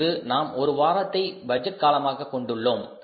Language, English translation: Tamil, Today we have the one week as the budgeting horizon